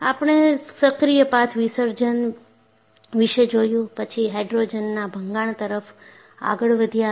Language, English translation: Gujarati, We have looked at active path dissolution, then hydrogen embrittlement